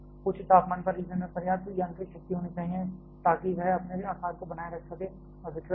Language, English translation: Hindi, At higher temperature the fuel should have sufficient mechanical strength so that it can maintain it is own shape and does not get deformed